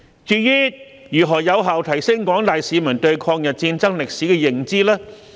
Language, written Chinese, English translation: Cantonese, 至於如何有效提升廣大市民對抗日戰爭歷史的認知呢？, How can we effectively enhance the general publics awareness of the history of the War of Resistance?